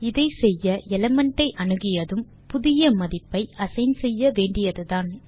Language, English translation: Tamil, To do this, we simply assign the new value after accessing the element